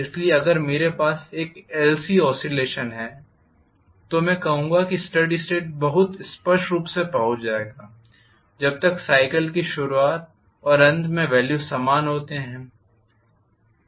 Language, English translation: Hindi, So if I have an LC oscillation I would say reach steady state very clearly, as long as in the beginning of the cycle and end of cycle the values are the same